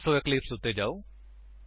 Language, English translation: Punjabi, So, switch to Eclipse